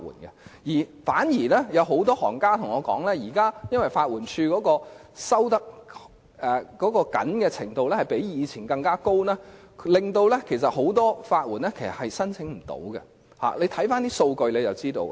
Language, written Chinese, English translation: Cantonese, 相反，很多律師對我說現時法援署的要求較以前更為嚴謹，令很多法援申請失敗，大家只要看看數據便會知道。, Quite the contrary many lawyers have told me that LAD has now adopted more stringent standards than before resulting in many applications for legal aid being rejected . Just take a look at the statistics and Members will know